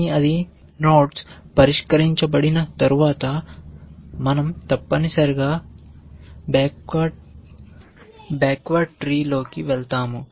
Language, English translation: Telugu, But once it is solved nodes, we go into the backward tree essentially